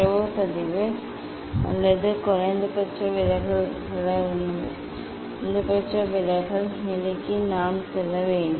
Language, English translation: Tamil, Then we have to go for the data recording or minimum deviation position